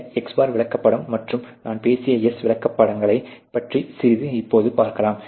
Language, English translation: Tamil, Let us a now look into little bit of these chart, and the S charts that I was talking about